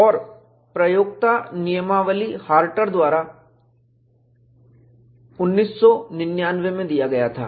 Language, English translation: Hindi, 0; and user manual was provided by Harter in 1999